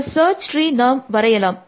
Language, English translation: Tamil, Let us draw the search tree